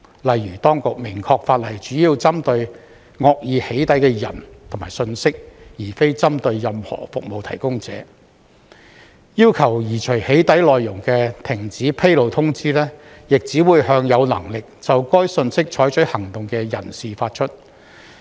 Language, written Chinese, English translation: Cantonese, 例如，當局明確表示，法例主要針對惡意"起底"的人和信息，而非針對任何服務提供者；要求移除"起底"內容的停止披露通知，亦只會向有能力就該信息採取行動的人士發出。, For example the authorities clearly state that the law is aimed primarily at people and information that is doxxing maliciously not at any service provider and that a cessation notice to remove doxxing content will only be served to those who have the ability to act on that information